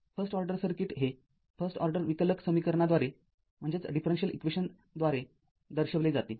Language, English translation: Marathi, A first order circuit is characterized by first order differential equation